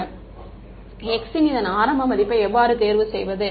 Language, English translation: Tamil, Sir, how do we choose an initial value of x